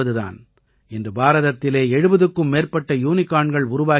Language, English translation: Tamil, Today there are more than 70 Unicorns in India